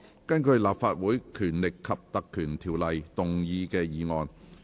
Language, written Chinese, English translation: Cantonese, 根據《立法會條例》動議的議案。, Motion under the Legislative Council Ordinance